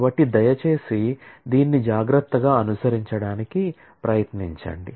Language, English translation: Telugu, So, please try to follow this carefully